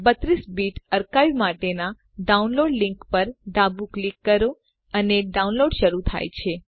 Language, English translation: Gujarati, Left click on the download link for the 32 Bit archive and download starts